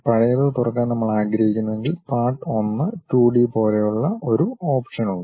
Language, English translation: Malayalam, If we want to Open the older one, there is option like Part1 2D